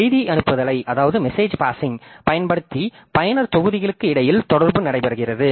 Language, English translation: Tamil, Communication takes place between user modules using message passing